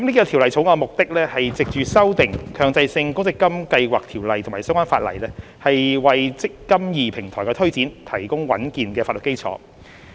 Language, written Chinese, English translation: Cantonese, 《條例草案》的目的，是藉修訂《強制性公積金計劃條例》及相關法例，為"積金易"平台的推展提供穩健的法律基礎。, The objective of the Bill is to amend the Mandatory Provident Fund Schemes Ordinance MPFSO and the relevant laws providing sound legal backing for the implementation of the eMPF Platform